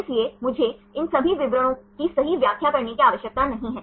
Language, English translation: Hindi, So, I do not have to explain all these details right